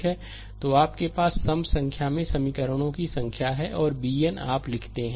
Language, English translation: Hindi, So, you have n, n number of simultaneous equations, and b n you write